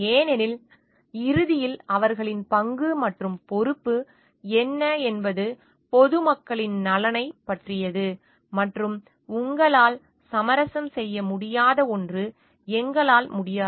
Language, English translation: Tamil, Because, ultimately what is their role and responsibility is towards the welfare of the public at large and there is what we cannot something which you cannot compromise with